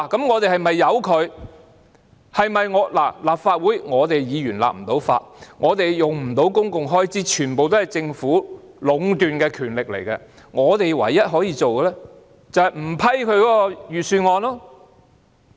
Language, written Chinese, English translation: Cantonese, 我們立法會議員不能立法，也不能使用公共開支，這全部也是由政府壟斷的權力，但我們唯一可以做的，便是不批准財政預算案。, We Members of the Legislative Council cannot introduce legislation; nor can we draw down the public coffers . These powers are all monopolized by the Government . But the only thing we can do is to negative the Budget